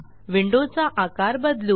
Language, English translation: Marathi, Let me resize the window